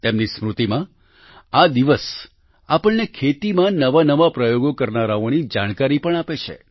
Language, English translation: Gujarati, In his memory, this day also teaches us about those who attempt new experiments in agriculture